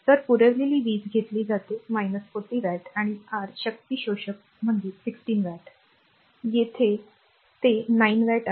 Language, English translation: Marathi, So, power supplied is it is taken minus 40 watt and your power absorbing that is 16 watt, here it is 9 watt